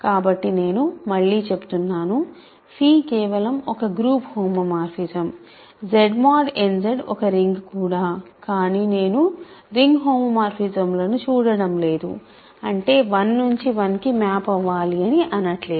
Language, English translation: Telugu, So, let me emphasise again phi is just a group homomorphism, Z mod n Z is also a ring, but I am not looking at ring homomorphisms; that means, I am not insisting that 1 goes to 1